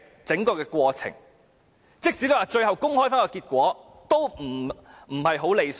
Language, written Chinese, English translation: Cantonese, 即使最後公布結果，也不太理想。, It will not be desirable if the voting results are to be published later